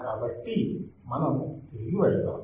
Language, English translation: Telugu, So, let us go back